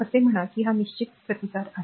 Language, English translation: Marathi, Say right this is a fixed resistance